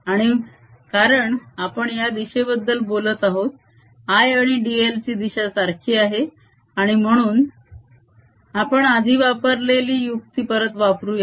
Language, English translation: Marathi, and since we have been talking about this direction, i is in the same direction is d l, and therefore we again use a trick that we used earlier